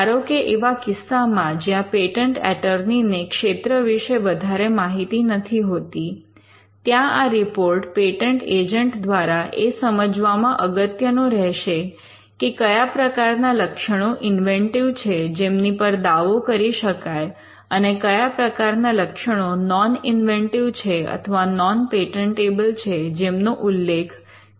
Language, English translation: Gujarati, So, in cases where the patent attorney does not have a fair understanding of the field, then this will be critical in helping the patent agent to determine what should be the inventive features that are claimed, and what are the non inventive or non patentable features that should not figure in the claim